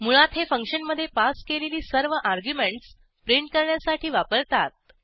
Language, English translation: Marathi, Basically, it is used to print all arguments passed to a function